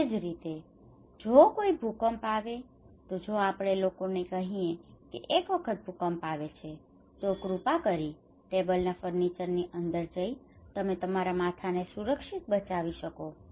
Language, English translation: Gujarati, Similarly, if there is an earthquake if we tell people that once there is an earthquake, please protect yourself by going inside the furniture table, then you can protect your head